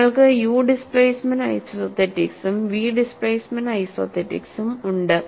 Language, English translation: Malayalam, You have u displacement isothetics and v displacement isothetics